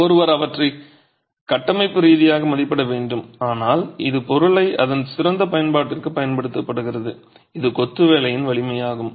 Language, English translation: Tamil, One has to assess them structurally but this is putting the material to its best use which is the strength of masonry itself